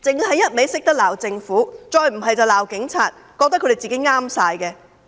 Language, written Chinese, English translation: Cantonese, 他們只懂得罵政府，再不便是罵警察，覺得自己全對。, They would only slam the Government or the Police considering themselves perfectly right